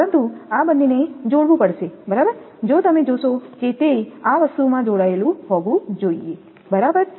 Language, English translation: Gujarati, But these two has to be connected right, it if you look into that it has to be in this thing connected right